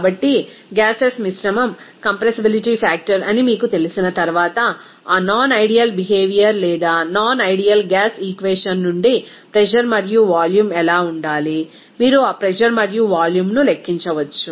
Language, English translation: Telugu, So, once you know that mixture of gases that compressibility factor, then what should be the pressure and volume from that non ideal behavior or non ideal gas equation, you can calculate those pressure and volume